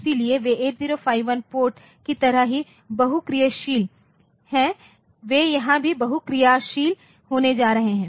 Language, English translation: Hindi, So, they are multifunctional just like a 8051 ports they are multifunctional here also the pins are going to be multifunctional